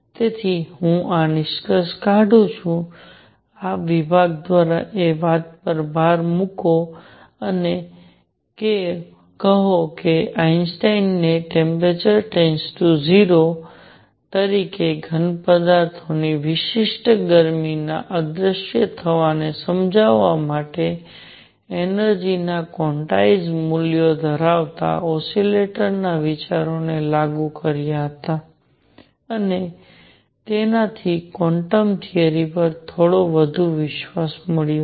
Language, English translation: Gujarati, So, I conclude this, this section by emphasizing that Einstein applied the ideas of an oscillator having quantized values of energies to explain the vanishing of specific heat of solids as temperature goes to 0 and that gave a little more trust in quantum theory